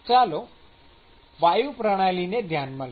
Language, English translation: Gujarati, So, let us consider gas systems